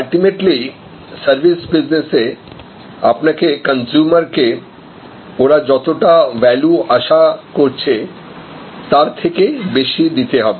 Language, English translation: Bengali, Ultimately in services business, you have to deliver to the customer consumer, more value than they expected